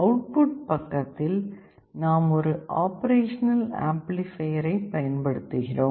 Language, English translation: Tamil, On the output side, we are using an operational amplifier